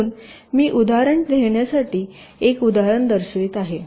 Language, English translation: Marathi, ok, so i am showing an example to illustrate